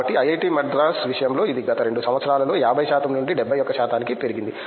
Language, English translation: Telugu, So, in the case IIT Madras it has increased from 50 percentage to 71 percentage in the last 2 years